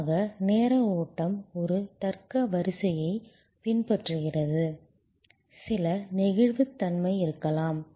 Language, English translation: Tamil, And usually the time flow follows a logical sequence, there can be some flexibility